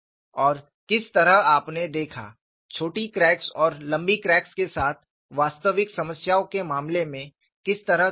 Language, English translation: Hindi, And what way you saw is, in the case of actual problems with the short cracks and long cracks, what kind of a comparison